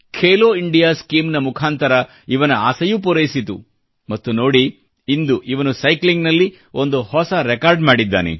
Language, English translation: Kannada, He was selected under the 'Khelo India' scheme and today you can witness for yourself that he has created a new record in cycling